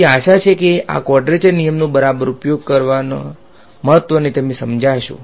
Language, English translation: Gujarati, So, hopefully this drives home the importance of having of using a proper quadrature rule alright